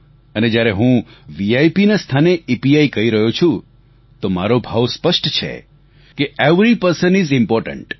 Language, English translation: Gujarati, And when I'm saying EPI in place of VIP, the essence of my sentiment is clear every person is important